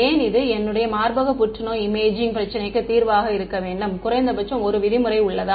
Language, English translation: Tamil, Why should my solution to this breast cancer imaging problem have minimum 1 norm